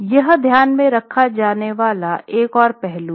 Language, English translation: Hindi, So, that is another aspect to be kept in mind